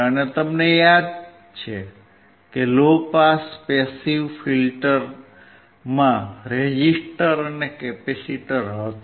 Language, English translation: Gujarati, And if you remember the low pass passive filter had a resistor, and a capacitor